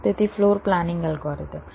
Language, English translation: Gujarati, ok, so, floor planning algorithms